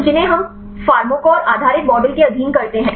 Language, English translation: Hindi, So, those we are subjected to pharmacophore based model